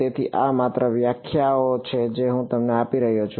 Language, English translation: Gujarati, So, these are just definitions I am giving you